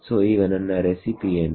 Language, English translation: Kannada, So, now, what is my recipe